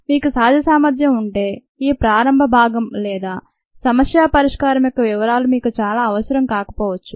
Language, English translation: Telugu, if you have the natural ability, then this initial part or the details of the problem solving may not be very necessary for you